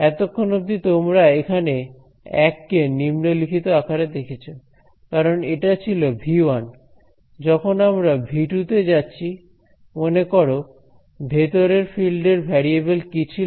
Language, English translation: Bengali, So, far everywhere you see the subscript 1 over here so, this was so, so V 1 when we go to V 2 remember what was a variable for the fields inside V 2